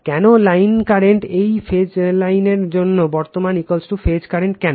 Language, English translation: Bengali, Why line current, for this phase line current is equal to phase current why